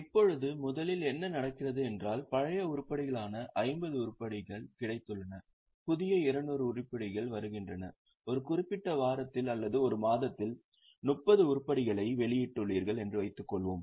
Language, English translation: Tamil, Now, in first in first out what happens is suppose we have got 50 items which are the older items, new 200 items are coming and you have issued 30 items in a particular week or a month